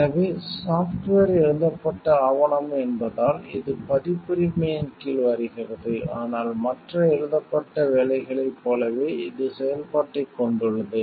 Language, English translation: Tamil, So, because software is a written document it comes under copyright, but like other written work it has functionality